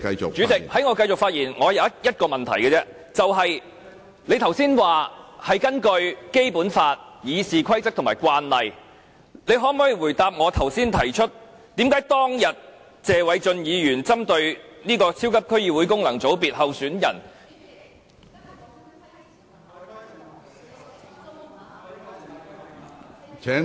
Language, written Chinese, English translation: Cantonese, 主席，在我繼續發言前，我有一個問題而已，你剛才說是根據《基本法》、《議事規則》和慣例，你可否回答我剛才提出為何當日謝偉俊議員針對超級區議會功能界別候選人......, President before I continue with my speech I only have one more question . You just said that you would adhere to the Basic Law RoP and past precedents so can you explain regarding the case pointed out by me earlier in relation to Mr Paul TSE and candidates for the super District Council FC election